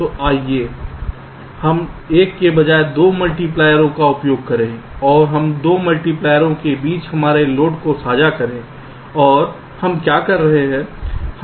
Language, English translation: Hindi, so let us use two multipliers instead of one, ok, and let us share our load between the two multipliers and what we are doing